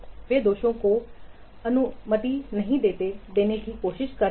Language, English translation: Hindi, They are trying to not allow the defects